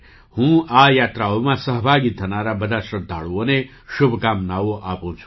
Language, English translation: Gujarati, I wish all the devotees participating in these Yatras all the best